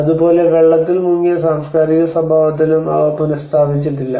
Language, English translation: Malayalam, Similarly, in the cultural properties which has been submerged they are not restored